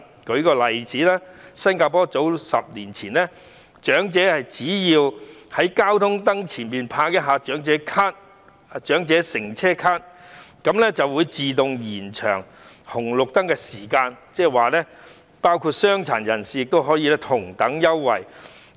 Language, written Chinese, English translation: Cantonese, 舉例而言，在10年前，新加坡的長者只要在交通燈前拍一下長者乘車卡，就會自動延長過路燈號的時間，傷殘人士亦可以享用同一安排。, For instance a decade ago if elders in Singapore press their elderly travel cards on the traffic light pole the pedestrian crossing signal will be extended automatically . Persons with disabilities may also enjoy the same arrangement